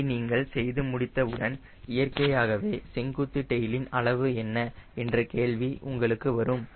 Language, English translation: Tamil, so once i do that, then natural question comes: what will be the vertical tail size